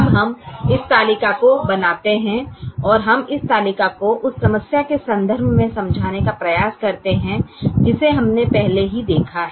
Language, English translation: Hindi, now we make this table and we try to explain this table in the context of the problem that we have already looked at